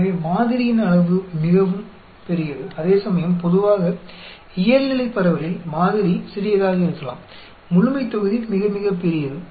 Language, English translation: Tamil, So, the sample size is quite large, whereas normally, in normal distribution, the sample may be small, population is very very large